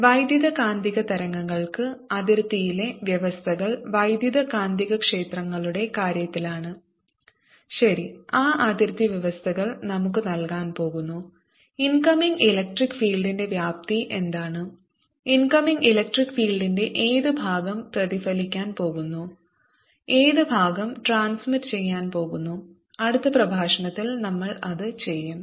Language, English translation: Malayalam, for electromagnetic waves the boundary conditions are, in terms of electric and magnetic fields, right, and those boundary conditions are going to give us what amplitude of the incoming electric field is going to, what fraction of the incoming electric field is going to be reflected, what fraction is going to be transmitted